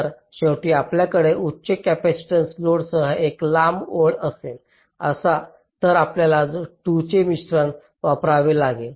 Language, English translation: Marathi, so if you have a long line with high capacitance load at the end, you have to use a combination of the two